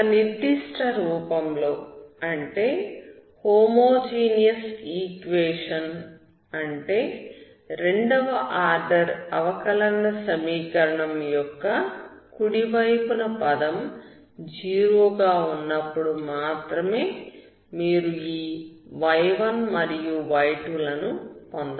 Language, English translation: Telugu, Only in certain form you can get your y1 and y2, that is homogeneous form, meaning the right hand side term of the second order ODE is zero